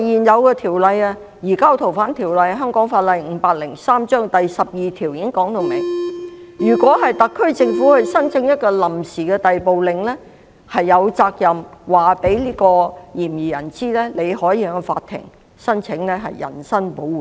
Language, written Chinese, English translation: Cantonese, 再者，現行《逃犯條例》第12條已訂明，特區政府申請一項拘押令時，有責任告知嫌疑人他有權向法庭申請人身保護令。, Furthermore under section 12 of the existing Fugitive Offenders Ordinance Cap . 503 in applying for an order of committal the Administration has the duty to inform the person concerned his right to make an application to the Court for habeas corpus